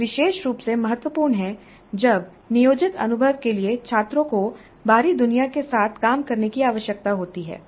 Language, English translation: Hindi, This is particularly important when the planned experience requires the students to work with the outside world